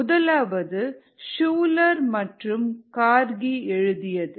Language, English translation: Tamil, the first one is shuler and kargi ah